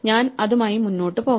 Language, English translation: Malayalam, So, i must go ahead with it